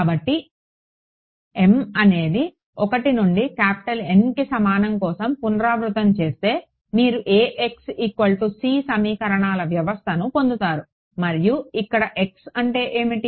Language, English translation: Telugu, So, repeat for m is equal to 1 to N and you get a system of equations, A x is equal to we will call it c and where your x’s are what